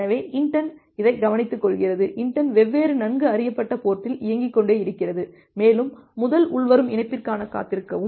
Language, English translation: Tamil, So, this inetd takes care of that, the inetd keeps on running on different well known ports, and wait for the first incoming connection